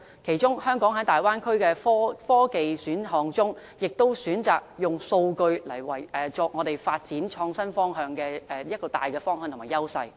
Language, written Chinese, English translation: Cantonese, 其中，香港在大灣區的科技選項中，可選擇"數據"為我們發展創新科技的大方向和優勢。, Actually Hong Kong can choose data as our major direction or edge in developing innovative technologies if we are to choose from the scientific and technological options available in the Bay Area